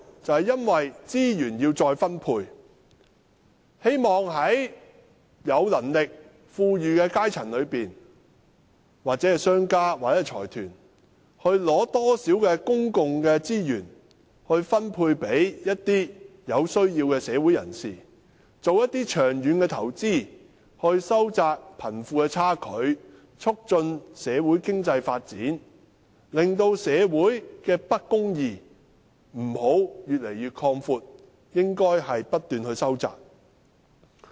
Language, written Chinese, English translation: Cantonese, 就是因為要將資源再分配，希望從有能力、富裕的階層，或者從商家、財團取得公共資源，以分配予社會上有需要的人士，並進行長遠的投資來收窄貧富的差距，促進經濟發展，令社會的不公義不會擴闊，而是不斷收窄。, It is for the redistribution of resources . It serves to obtain public resources from those who have the means or who are rich or from businesses or consortia and redistribute the resources to those in need in society make long - term investments in order to narrow the wealth gap promote economic development and prevent injustices in society from proliferating